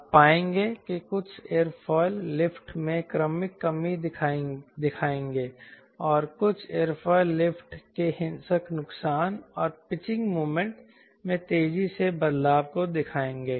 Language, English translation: Hindi, you will find some aerofoil will show gradual reduction in lift and some aerofoil will show violent loss of lift and rapid change in pitching moment